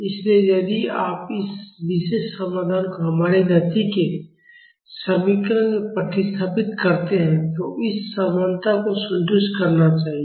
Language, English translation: Hindi, So, if you substitute this particular solution in our equation of motion, it should satisfy the equality